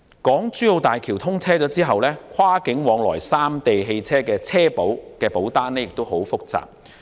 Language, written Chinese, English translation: Cantonese, 港珠澳大橋通車後，跨境往來三地汽車的車險保單亦很複雜。, With the commissioning of HZMB motor insurance for drivers travelling among the three places also becomes very complicated